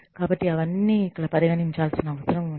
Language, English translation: Telugu, So, all of that, needs to be considered here